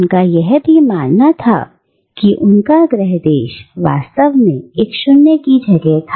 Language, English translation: Hindi, And he too believed that his home country was actually a space of nothingness